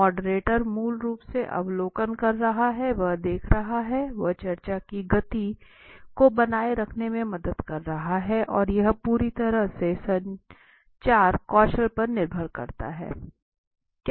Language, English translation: Hindi, Moderator is basically observational he is observing right, he is helping in keeping the momentum going of the discussion and it entirely depends on the communication skills okay